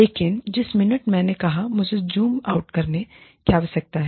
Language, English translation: Hindi, But, the minute, I said, I need you to zoom out